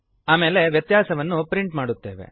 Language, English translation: Kannada, Then we print the difference